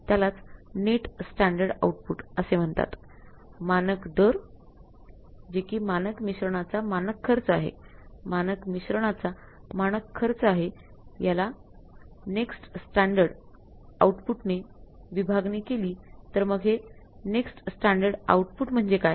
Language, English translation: Marathi, Standard rate that is a standard cost of material mix, standard cost of the standard mix divided by the net standard output and what is the net standard output that is the gross output